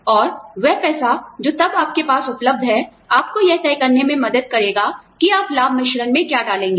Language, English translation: Hindi, And, that money, will then, you know, what you have available to you, will help you decide, what you put in the benefits mix